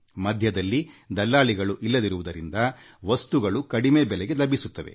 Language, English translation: Kannada, As there are no middlemen, the goods are available at very reasonable rates